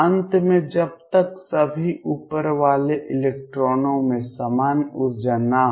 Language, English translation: Hindi, Finally until all the uppermost electrons have the same energy